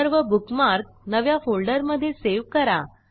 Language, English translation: Marathi, * Save all the bookmarks in a new folder